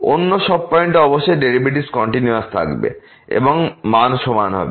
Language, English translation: Bengali, At all other points certainly the derivatives will be continuous and the value will be equal